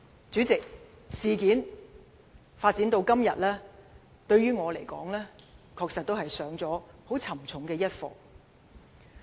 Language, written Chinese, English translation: Cantonese, 主席，事情發展至今，於我而言，確實是上了沉重的一課。, President given the development of the incident so far I have also learnt a hard lesson personally